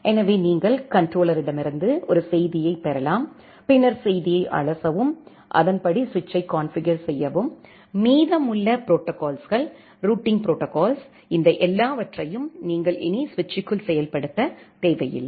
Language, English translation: Tamil, So, that you can just receive a message from the controller parse the message and then configure the switch accordingly, remaining protocols the routing protocols; and all these things that, you do not need to implement inside the switch anymore